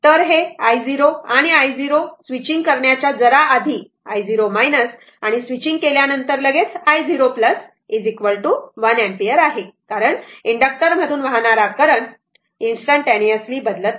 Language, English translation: Marathi, So, this is i 0 and i 0 is equal to just before switching i 0 minus is equal to just after switching i 0 plus is equal to one ampere, because current through the inductor cannot change instantaneously